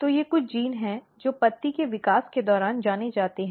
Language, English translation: Hindi, So, these are the some genes, which is known during leaf development